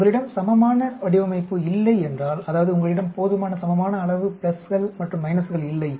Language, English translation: Tamil, If you do not have a balanced design, that means if you do not have enough plus equal number of pluses and minuses